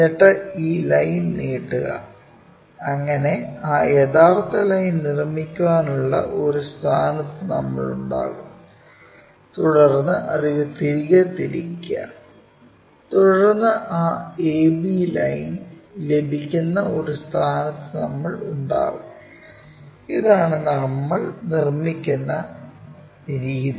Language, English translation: Malayalam, Then extend this line so, that we will be in a position to construct that true line, then, rotate it back, then we will be in a position to get that AB line, this is the way we construct it